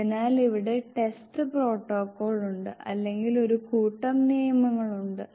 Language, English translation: Malayalam, So here is the test protocol for set of rule